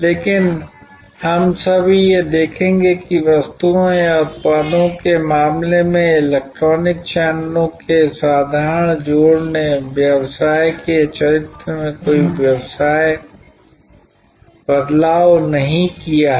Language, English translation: Hindi, But, we will just now see that the simple addition of electronic channels in case of goods or products has not altered the character of the business